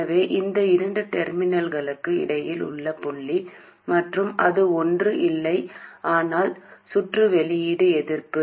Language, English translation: Tamil, So, between these two terminals, between this point and that, it is nothing but the input resistance of the circuit